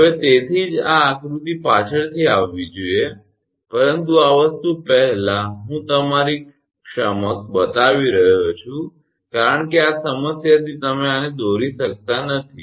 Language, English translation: Gujarati, So, that is why this figure should come later, but I am showing before you before this thing because from this problem you cannot draw this one